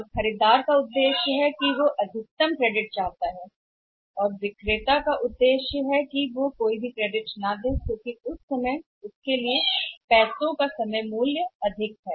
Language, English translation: Hindi, And objective of the buyer is that she wants have maximum credit and now the objective of the seller is that not to give the credit at all so that the time value of money is maximum for him